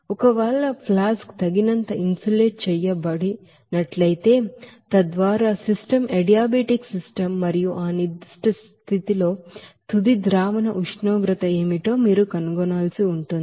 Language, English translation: Telugu, And if the flask is sufficiently insulated, so that it will be, the system will be as a you know that adiabatic system and in that particular condition you have to find out what will be the final solution temperature